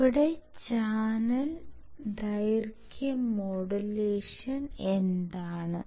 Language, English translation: Malayalam, So,, let us see what is channel length modulation